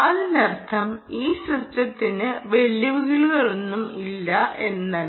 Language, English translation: Malayalam, it isn't that this system has no challenges